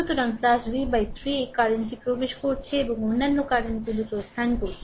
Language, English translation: Bengali, So, plus v by 3 this current is entering and other currents are leaving right